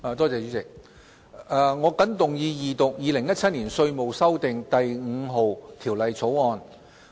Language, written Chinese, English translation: Cantonese, 我謹動議二讀《2017年稅務條例草案》。, I move the Second Reading of the Inland Revenue Amendment No . 5 Bill 2017 the Bill